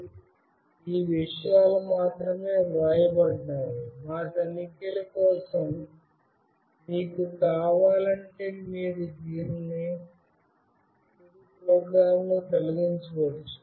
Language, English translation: Telugu, And these things are only written for our checks, you can remove it in the final program if you want